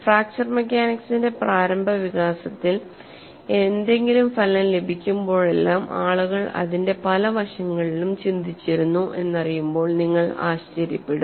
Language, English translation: Malayalam, So in the initial development of fracture mechanics whenever any result is obtained people reflect many aspects of it